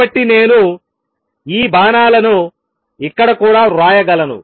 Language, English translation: Telugu, So, I can write these arrows here also